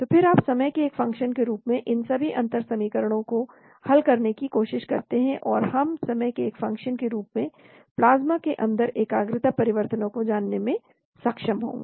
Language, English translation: Hindi, And then you try to solve all these differential equations as a function of time, so we will be able to predict concentration changes inside the plasma as a function of time